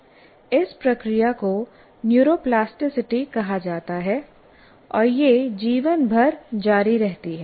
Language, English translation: Hindi, This process is called neuroplasticity and continues throughout one's life